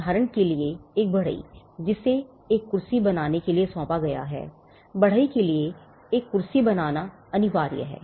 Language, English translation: Hindi, For instance, a carpenter who is assigned to make a chair; Now, the carpenter is mandated to make a chair